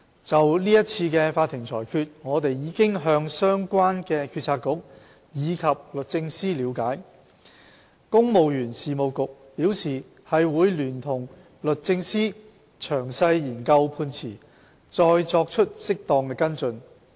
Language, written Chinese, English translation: Cantonese, 就是次法庭的裁決，我們已向相關的政策局及律政司了解，公務員事務局表示會聯同律政司詳細研究判詞，再作出適當的跟進。, With regard to this court ruling we have sought information from relevant Policy Bureaux and the Department of Justice . The Civil Service Bureau indicated that it would study the details of the judgment with the Department of Justice and take appropriate follow - up actions